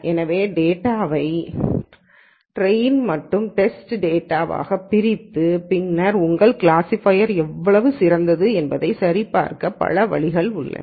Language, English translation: Tamil, So, there are many ways of splitting the data into train and test and then verifying how good your classifier is